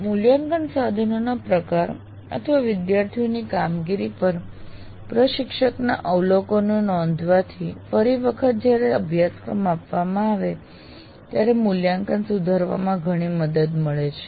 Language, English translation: Gujarati, And by recording instructors observations on the nature of assessment instruments are students' performance greatly help in improving the assessment when the same course is offered next time